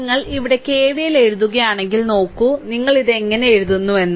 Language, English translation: Malayalam, So, if you do so, if you do so, if you write, if you write KVL here look, how you are write it